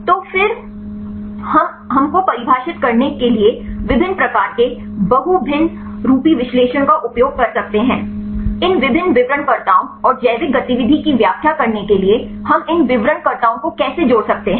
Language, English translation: Hindi, So, then we can use different types of multivariate analysis to define These different descriptors and how we can link these descriptors to explain the biological activity